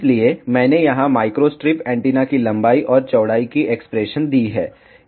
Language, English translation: Hindi, So, I have given here the expression of length and width of micro strip antenna